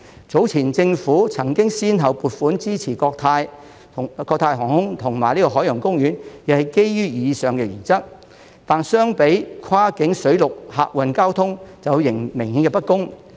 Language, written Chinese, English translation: Cantonese, 早前政府曾經先後撥款支持國泰航空和香港海洋公園，也是基於以上原則，但相比跨境水陸客運交通則有明顯的不公。, The Government earlier allocated funds to support Cathay Pacific and Ocean Park Hong Kong on the basis of the above principle as well but in comparison this is grossly unfair when it comes to cross - border land and sea passenger transport